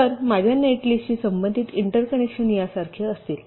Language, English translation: Marathi, so the interconnections corresponding to my net list will be like this